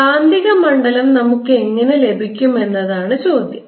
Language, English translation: Malayalam, the question is, how do we get the magnetic field